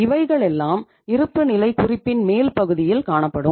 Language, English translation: Tamil, So this is the upper part of the balance sheet